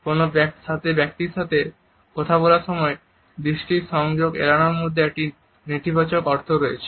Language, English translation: Bengali, Talking to a person with in avoidance of eye contact passes on negative connotations